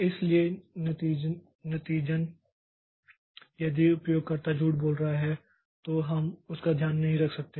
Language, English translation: Hindi, So, as a result if a user user is lying then we cannot take care of that